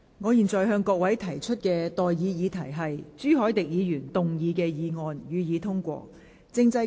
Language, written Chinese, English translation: Cantonese, 我現在向各位提出的待議議題是：朱凱廸議員動議的議案，予以通過。, I now propose the question to you and that is That the motion moved by Mr CHU Hoi - dick be passed